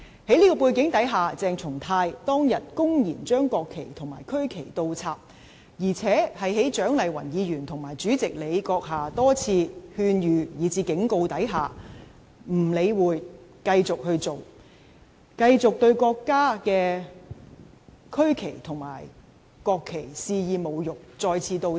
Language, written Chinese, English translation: Cantonese, 在這種背景下，鄭松泰當日公然把國旗及區旗倒插，而且對蔣麗芸議員及主席閣下的多次勸諭以至警告，亦不予理會，繼續對國家的區旗及國旗肆意侮辱，再次倒插。, In such a context on that day CHENG Chung - tai blatantly inverted the national flags and regional flags and ignored the repeated advice and even warnings from Dr CHIANG Lai - wan and the President but continued to wantonly insult the regionals flags and national flags of the country by inverting them again